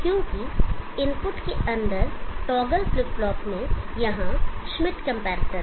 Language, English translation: Hindi, Because the toggle flip flop here inside the input is containing Schmitt comparator